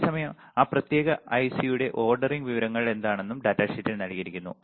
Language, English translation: Malayalam, At the same time what are the ordering information for that particular IC is also given in the data sheet